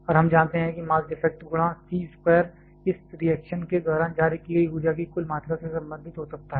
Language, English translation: Hindi, And we know the mass defect multiplied by c square can be a related to the total amount of energy that has been released during this reaction